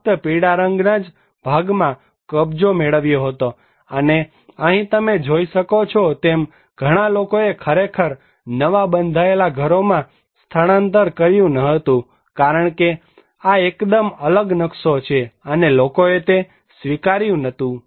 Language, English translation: Gujarati, So, most of the houses are vacant, only yellow part you can occupied and you can see here that many people did not actually relocate it to the newly constructed house because it is a totally different layout and people did not accept that one